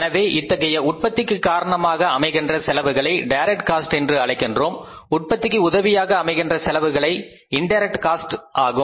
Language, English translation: Tamil, So, those costs which cause the production, they are direct costs which are supportive behind the production process they are indirect cost